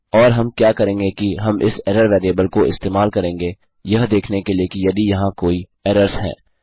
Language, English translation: Hindi, And what well do is well use this variable error to see if there are any errors